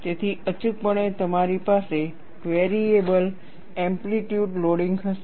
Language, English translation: Gujarati, So, invariably, you will have variable amplitude loading